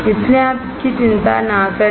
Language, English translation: Hindi, So, do not worry about it